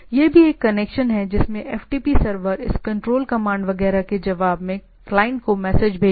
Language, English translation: Hindi, This is also connection across which FTP server will send messages to the client in response to this control command, etcetera